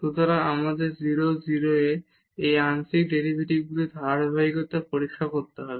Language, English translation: Bengali, So, we need to check the continuity of these partial derivatives at 0 0